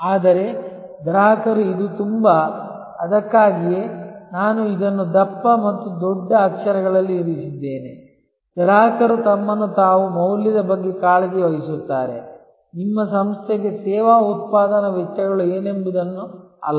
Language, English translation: Kannada, But customers this is veryÖ that is why, I have put this in bold and in bigger letters that customers care about value to themselves not what the service production costs are to the firm to your organization